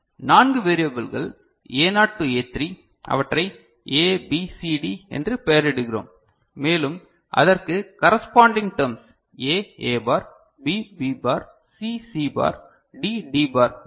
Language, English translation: Tamil, So, four variables are fine that A naught to A3 we name them as ABCD right, and corresponding these terms will be A A bar, B B bar over here, C C bar, D D bar right, this is there right